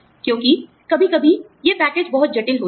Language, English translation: Hindi, Because, sometimes, these packages are very complex